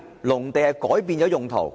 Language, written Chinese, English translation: Cantonese, 何謂改變用途？, What is meant by changes in land use?